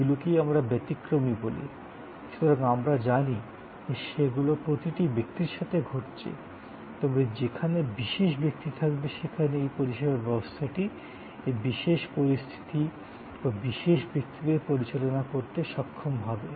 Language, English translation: Bengali, And these are what we call exceptions, so we know that, they are happening with every person, but there will be special persons and therefore, services system should able to handle this special circumstances or special people